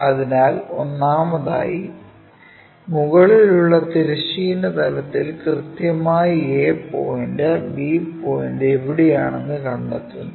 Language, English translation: Malayalam, So, first of all we locate where exactly A point, B point are located in above horizontal plane